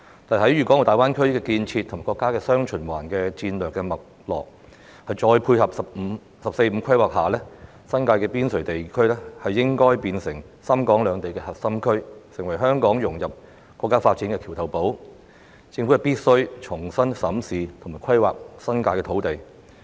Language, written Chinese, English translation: Cantonese, 在大灣區的建設及國家的"雙循環"戰略脈絡，再配合"十四五"規劃下，新界的邊陲地區應是深港兩地的核心區，成為香港融入國家發展的橋頭堡，政府必須重新審視及規劃新界的土地。, However in view of the development of the Greater Bay Area the Mainlands dual circulation strategy and the 14 Five - year Plan the outskirts of the New Territories should become the core districts of Shenzhen and Hong Kong as well as the bridgehead for Hong Kongs integration into the national development . It is essential for the Government to review and re - plan the land use in the New Territories